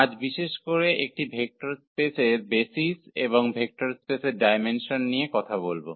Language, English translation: Bengali, In particular today will be talking about the basis of a vector space and also the dimension of a vector space